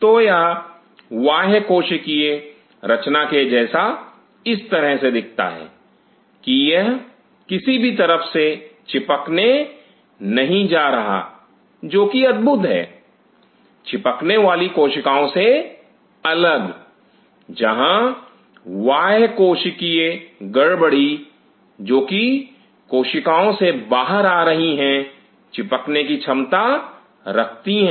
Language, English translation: Hindi, So, it looks like the extracellular composition in such that that it does not get adhere at any site which is remarkable the different from an adhering cell, where the extracellular perturbation which are coming out from the cells have the ability to adhere